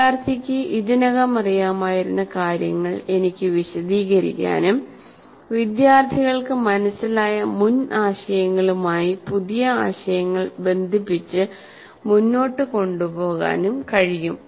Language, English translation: Malayalam, So, I can relate what the student already knew and take it forward and linking the new concepts to the previous concepts the student has understood